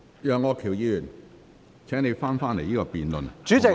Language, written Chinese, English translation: Cantonese, 楊議員，請你返回這項辯論的議題。, Mr YEUNG please come back to the question of the debate